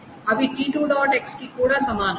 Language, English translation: Telugu, x is equal to T2